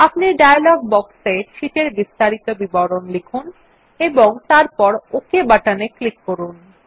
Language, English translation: Bengali, You can enter the sheet details in the dialog box and then click on the OK button